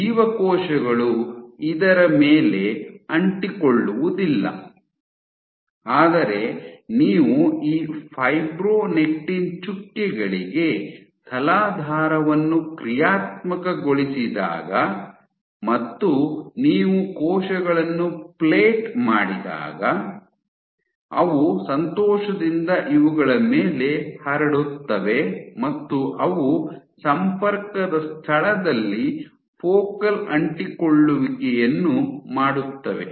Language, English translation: Kannada, So, cells cannot stick on this, but when you plate it when you functionalize the substrate to these fibronectin dots and you plate cells, they would happily spread on these and they will make focal adhesions at the site of contact